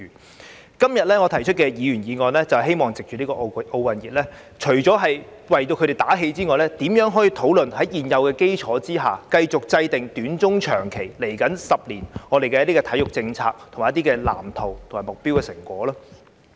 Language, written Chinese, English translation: Cantonese, 我今天提出議員議案，是希望藉着奧運熱潮，除了為體育界打氣外，亦討論如何可在現有基礎上，繼續制訂短、中、長期和未來10年的體育政策、藍圖、目標和成果。, I move this Members motion today with an intention to ride the wave of the Olympics to boost the morale of the sports community and discuss how to build on the existing foundation and further formulate the sports policy blueprint objectives and targets in the short term medium term and long term as well as for the coming decade